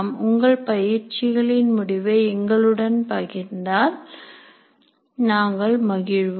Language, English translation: Tamil, We will thank you if you can share the results of your exercise with us